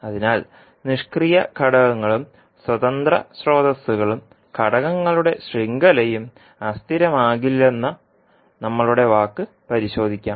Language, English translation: Malayalam, So let us verify our saying that the passive elements and independent sources, elements network will not be unstable